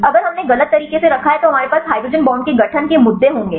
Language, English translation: Hindi, If we wrongly placed then we will have the issues with the hydrogen bond formation right